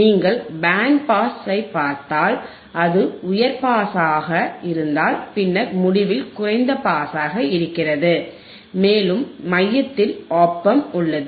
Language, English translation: Tamil, Like if you see band pass, it was high pass then you have low pass at the end, and you have the OP Amp in the centre right